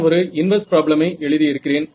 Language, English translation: Tamil, We are looking at the inverse problem